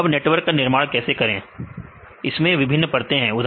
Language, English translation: Hindi, So, how the construct networks right it has the different layers